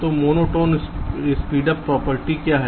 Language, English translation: Hindi, so what is monotone speedup property